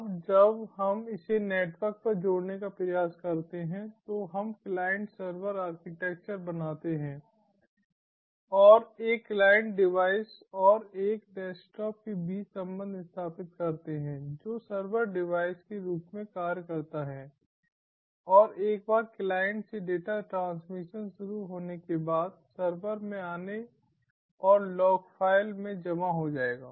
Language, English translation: Hindi, now, when we attempt to connect this over the network, we create a client server architecture and establish connection between one client device and a desktop which acts as the server device, and once the data transmission from the client initiates, successive data will be in, coming into the server and get stored into a log file